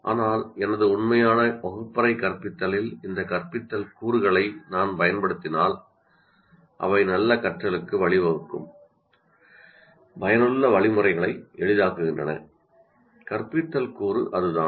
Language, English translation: Tamil, But if I use these instructional components in my actual classroom instruction, they facilitate effective instruction that can lead to good learning